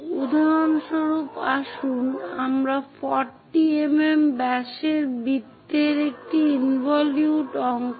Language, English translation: Bengali, For example, let us draw an involute of circle 40 mm in diameter